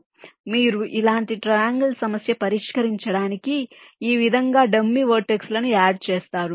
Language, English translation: Telugu, ok, so you that complex triangle problem solved if i add dummy vertices like this